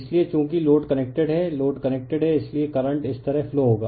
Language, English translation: Hindi, So, as load is connected load is load is connected therefore, the current will be flowing like this